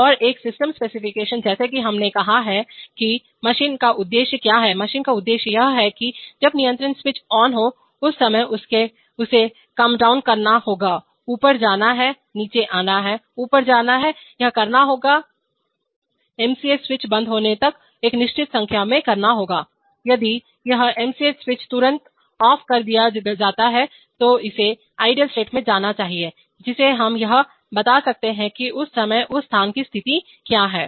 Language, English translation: Hindi, And a system specification as we said that the, what is the objective of the machine, the objective of the machine is that when the control switch is on, at that time it must comedown, go up, come down, go up, this must do a certain number of times till the MCS switch is put off, if this MCS switch is put off immediately from there it must go to the idle state, which we can describe what is the position of the place at that time whatever it is